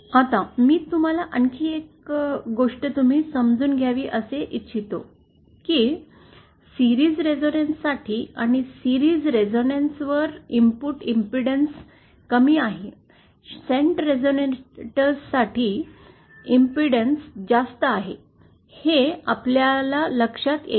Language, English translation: Marathi, Now, one more thing I would like you to understand is that for series resonance, at resonance, the input impedance is low, for shunt impedance, we shall see that input impedance is high at resonance